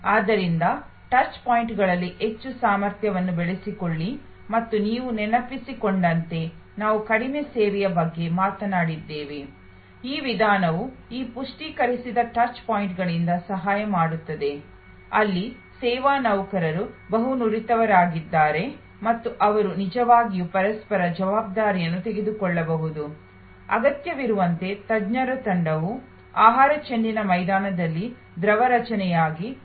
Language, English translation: Kannada, So, build in more competency in to the touch points and as you recall we also talked about seem less service, which also that approach is helped by this enriched touch points, where service employees are multi skilled and they can actually take on each other responsibility as needed, as a fluid formation on the food ball ground by an expert team